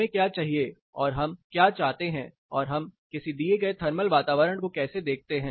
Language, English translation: Hindi, What do we need what do we want and how do we perceive a given thermal environment